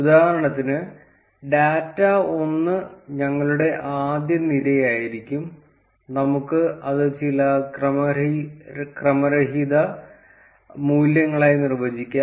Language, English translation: Malayalam, So, for instance, data 1 would be our first array and we can define it as some random values